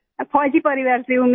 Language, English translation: Hindi, I am from military family